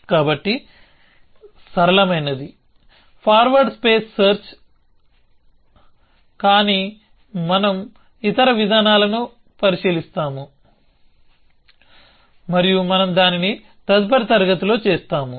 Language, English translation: Telugu, So, the simplest is forward state space search, but we will look at other approaches and we will do that in the next class onwards